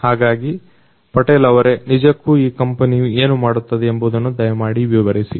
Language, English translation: Kannada, Patel could you please explain what exactly you do in this company